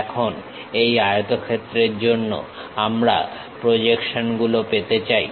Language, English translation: Bengali, Now, we would like to have projections for this rectangle